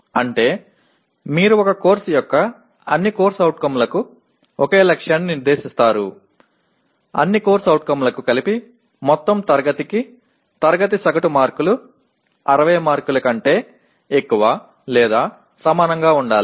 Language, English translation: Telugu, That means you set the same target for all COs of a course like you can say the class average marks for the entire class for all COs put together should be greater than or equal to 60 marks